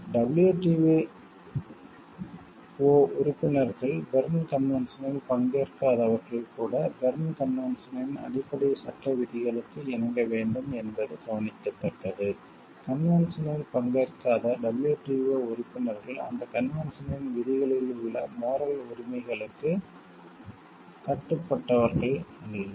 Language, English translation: Tamil, It is to be noted that the WTO members even those not party to the Berne convention must comply with the substantive law provisions of the Berne convention; except that WTO members not party to the convention are not bound by the moral rights in provisions of that convention